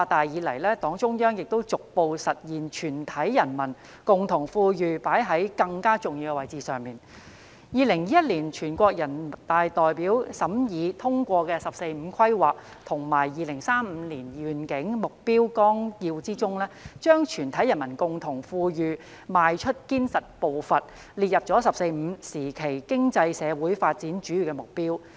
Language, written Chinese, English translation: Cantonese, 2021年全國人民代表大會審議通過的《中華人民共和國國民經濟和社會發展第十四個五年規劃和2035年遠景目標綱要》中，把"全體人民共同富裕邁出堅實步伐"列入"十四五"時期經濟社會發展的主要目標。, Deliberated and endorsed by the National Peoples Congress in 2021 the Outline of the 14th Five - Year Plan for National Economic and Social Development of the Peoples Republic of China and the Long - Range Objectives Through the Year 2035 has included taking solid steps towards common prosperity of all the people of the country as a major target for the economic and social development during the 14th Five - Year Plan period